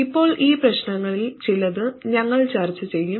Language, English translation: Malayalam, Now we will discuss a few of these issues